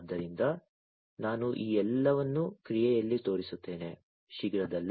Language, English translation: Kannada, So, I am going to show you all of these in action, shortly